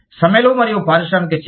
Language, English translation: Telugu, Strikes and industrial action